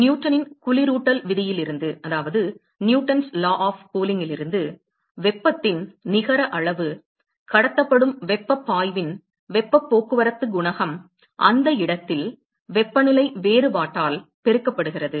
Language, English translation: Tamil, From Newton’s law of cooling, we said that the net amount of heat the flux of heat that is transported is heat transport coefficient at that location multiplied by the temperature difference